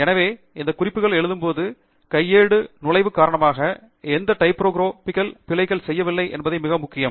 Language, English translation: Tamil, So it’s very important that when we write these references we do not make any typographical errors due to manual entry